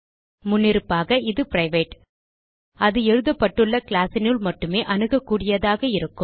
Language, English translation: Tamil, By default it is private, that is accessible only within the class where it is written